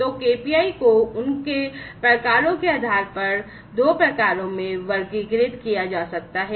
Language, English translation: Hindi, So, these KPIs based on their types can be categorized into two types